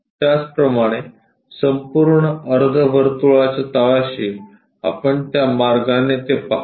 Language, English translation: Marathi, Similarly, at bottom the entire semi circle we will see it in that way